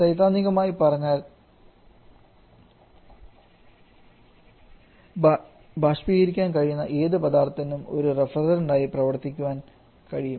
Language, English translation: Malayalam, Theoretical speaking, any kind of substance which can evaporate can act as a refrigerant